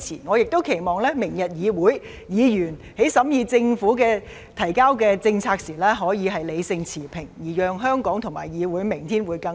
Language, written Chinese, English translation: Cantonese, 我亦期望明日議會審議政府提交的政策時，議員可以理性持平，讓香港和議會明天會更好。, I also hope that when the legislature tomorrow deliberates the policies submitted by the Government Members can be rational and impartial so as to create a better tomorrow for Hong Kong and the legislature